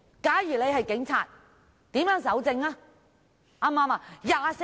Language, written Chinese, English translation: Cantonese, 假如他是警察，如何搜證？, How would he collect evidence if he were a policeman?